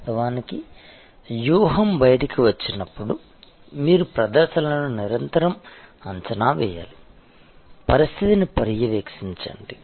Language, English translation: Telugu, Of course, as the strategy rolls out you have to constantly evaluate performances, monitor the situation